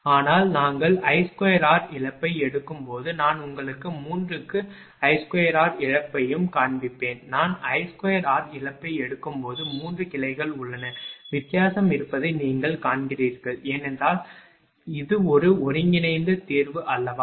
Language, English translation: Tamil, But when we will take I square all loss I will show you also I square all loss for 3, there are 3 branches when I take I square all loss you find there is a difference is there, because it is not a converse solution right